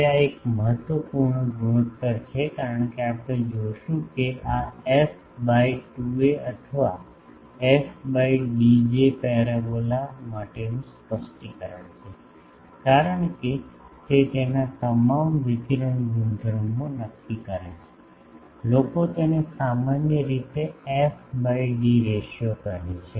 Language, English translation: Gujarati, Now, this is an important ratio as we will see that these f by 2a or f by d that is a specification for a parabola, because it determines all its radiation properties, f by d ratio people generally call it